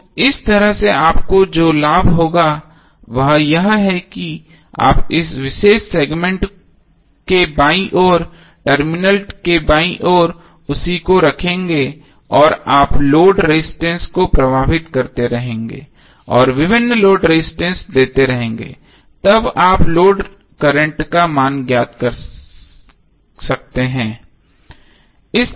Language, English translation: Hindi, So in this way the benefit which you will get is that you will keep the left of this particular segment, the left of the terminal a b same and you will keep on bearing the load resistance and you can find out the value of load current when various load resistances are given